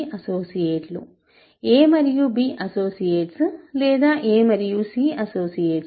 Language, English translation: Telugu, So, a and b are associates and a and c are associates